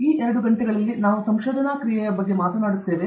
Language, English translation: Kannada, So, these two hours we will talk about Creativity in Research